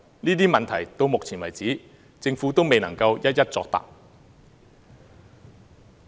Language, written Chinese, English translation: Cantonese, 這些問題到目前為止，政府都未能一一作答。, To date the Government has yet to answer all these questions